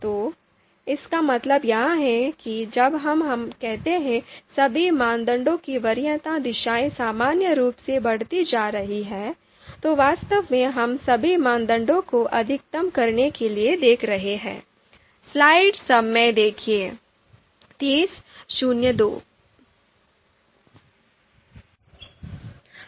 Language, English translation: Hindi, So this is what we mean when we say that preference directions of all criteria are in general taken to be increasing, so actually we are looking to you know maximize all the criteria